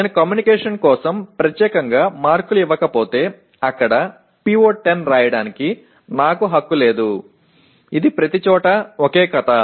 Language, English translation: Telugu, If I do not give marks specifically for communication, I do not have right to write PO10 there, okay